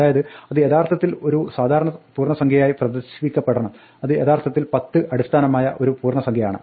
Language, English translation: Malayalam, So, we should actually display it as a normal integer value namely it's a base ten integer